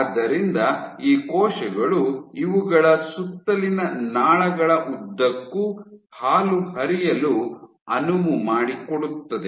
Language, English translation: Kannada, So, these cells allow milk, so this milk flows along the ducts around these things